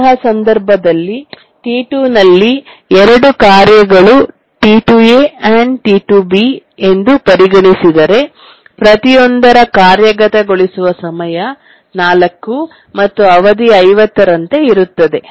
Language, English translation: Kannada, In that case, what we do is we consider that T2 consists of two tasks, T2A and T2B, each one having execution time 4 and period of 50